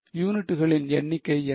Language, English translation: Tamil, What is the number of units